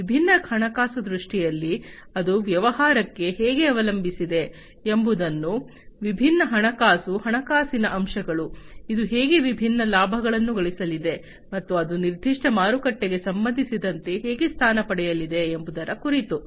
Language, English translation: Kannada, And how it is going to the business is going to be positioned with respect to the different finances, the financial aspects, how it is going to earn the different profits, and how it is going to be positioned with respect to the specific marketplace that it is going to cater to